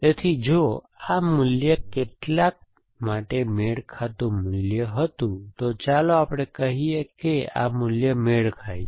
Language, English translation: Gujarati, So, if this value was a matching value for some this thing some other, so let us say this value was a matching value